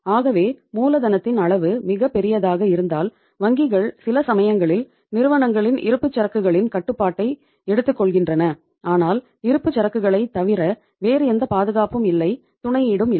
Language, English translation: Tamil, So if the amount of the working capital is very large so banks sometime take control of the inventory of the firms but if other than inventory there is no security no collateral